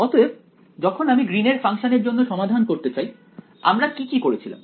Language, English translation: Bengali, Now when we went to solve for this Green’s function, what did we do the steps briefly